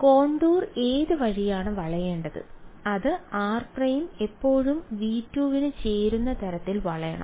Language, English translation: Malayalam, So, which way should the contour bend it should bend in such a way that r prime still belongs to V 2